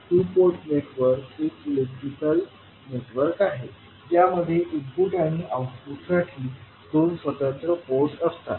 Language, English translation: Marathi, Two port network is an electrical network with two separate ports for input and output